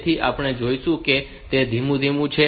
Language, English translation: Gujarati, So, will see it is slowly